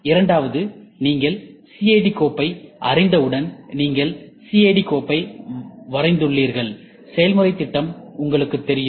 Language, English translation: Tamil, And second thing once you know the CAD file, you have drawn the CAD file, you know the process plan